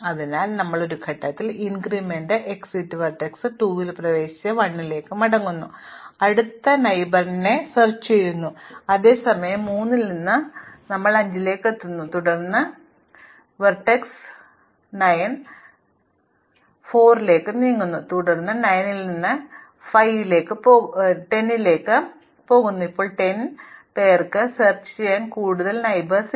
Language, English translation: Malayalam, So, we enter and exit vertex 2 in one step come back to 1 and explore its next neighbor which is 5 which we enter at time 3, then we move vertex 9 at time 4 then from 9 we go to 10 at time 5, now 10 has no further neighbors to explore